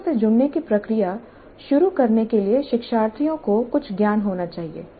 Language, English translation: Hindi, The learners must be having some knowledge to start the process of engaging with the problem